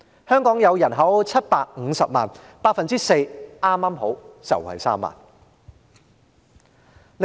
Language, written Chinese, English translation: Cantonese, 香港人口是750萬人 ，4% 剛剛好便是3萬人。, The population of Hong Kong is 7.5 million 4 % is exactly 30 000